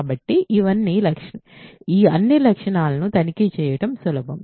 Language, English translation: Telugu, So, all the properties are easy to check